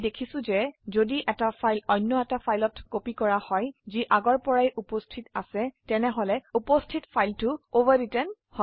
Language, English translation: Assamese, We have seen if a file is copied to another file that already exists the existing file is overwritten